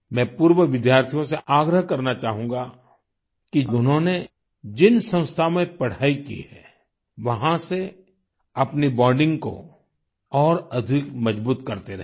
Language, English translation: Hindi, I would like to urge former students to keep consolidating their bonding with the institution in which they have studied